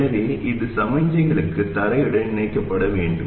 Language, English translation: Tamil, So this has to get connected to ground for signals